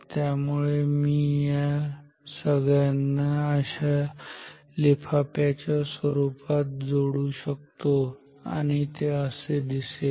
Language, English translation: Marathi, So, I can join all this with an envelope which will look like this